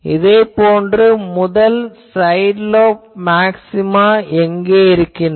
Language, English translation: Tamil, So, I will write first side lobe maxima